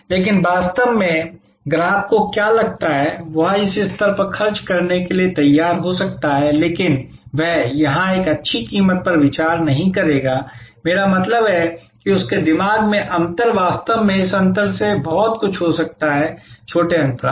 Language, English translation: Hindi, But, in reality, what the customer feels that, he might have been prepare to spend at this level, but he will not considering a good price here, I mean in his mind, the difference can actually go from this gap to actually a much smaller gap